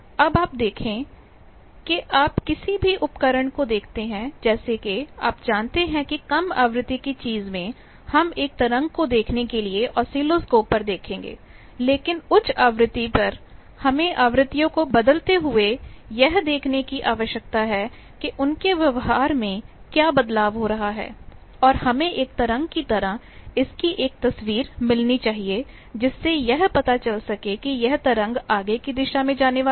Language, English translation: Hindi, Then you see that, you see any device like since you know that in low frequency thing, we will look at oscilloscope to look at an wave form, but at higher frequency we need to see by changing frequencies how the behaviour is taking place and also we need to have a wave sort of picture that means, whether there is a wave going in forward direction or getting reflected and coming into backward direction